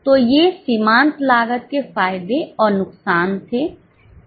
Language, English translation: Hindi, So, these were the advantages and disadvantages of marginal costing